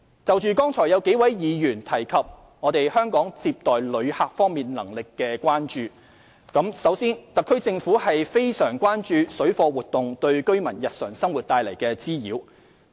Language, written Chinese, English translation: Cantonese, 就剛才有數位議員提及對香港在接待旅客方面能力的關注，首先，特區政府非常關注水貨活動對居民日常生活帶來的滋擾。, In response to the concerns about Hong Kongs receiving capability as raised by a number of Members earlier first the SAR Government is extremely concerned about the nuisance caused by parallel trading activities to the daily lives of residents